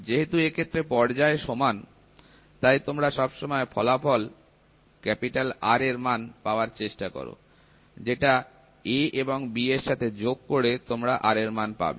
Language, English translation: Bengali, Since the phase is the same, you always try to get a resultant R; which is added of A and B you get R